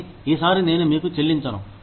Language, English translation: Telugu, But, I will not pay you, for this time